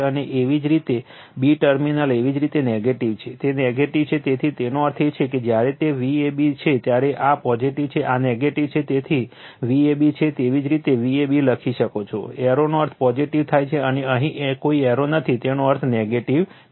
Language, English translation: Gujarati, And your b terminal is your negative right, it is negative, so that means when it is V a b this is positive, this is negative, it is V a b you can write V a b, arrow means positive arrow means positive, and here no arrow means negative